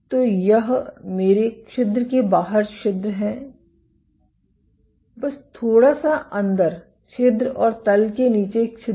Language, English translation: Hindi, So, this is my pore outside the pore, just about inside, the pore and bottom of the pore